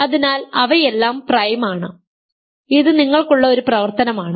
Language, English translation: Malayalam, So, they are all prime, this is an exercise for you